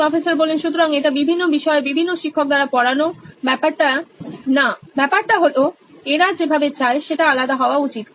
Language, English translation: Bengali, So it’s not about different subjects being taught by different teacher but they just want it that way, it should be separate